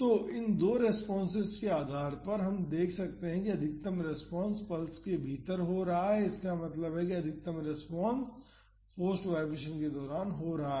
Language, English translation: Hindi, So, based on these two responses we can see that the maximum response is happening within the pulse; that means, the maximum response is happening during the forced vibrations